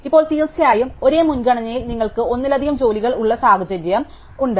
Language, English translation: Malayalam, Now of course, we have the situation where you have multiple jobs in the same priority